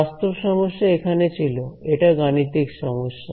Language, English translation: Bengali, The physical problem was here this is a math problem